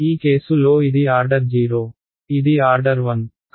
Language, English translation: Telugu, In this case this is order 0, this is order 1